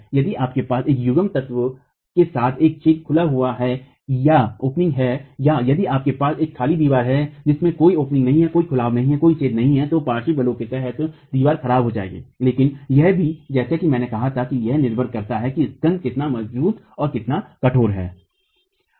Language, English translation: Hindi, If you have an opening with a coupling element or if you have a blank wall with no openings, there is a difference in the way the wall will deform under lateral forces, but it also, as I said, depends on how strong and how stiff the spandrel itself is